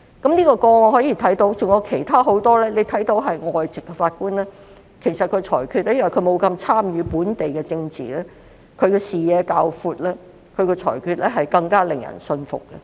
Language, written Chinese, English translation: Cantonese, 從這宗案件及很多其他個案看到，外籍法官由於沒有參與本地政治，視野會較闊，裁決也會更加令人信服。, From this case and many other cases we can see that foreign judges have a broader vision and their judgments are more convincing since they do not take part in local politics